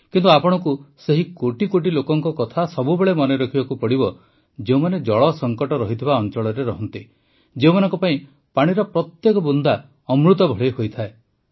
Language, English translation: Odia, But, you also have to always remember the crores of people who live in waterstressed areas, for whom every drop of water is like elixir